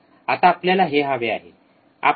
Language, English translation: Marathi, Now this is what we want